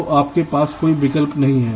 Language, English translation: Hindi, so you do not have any choice